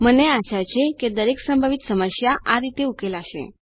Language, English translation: Gujarati, I hope every confusion will be resolved in that way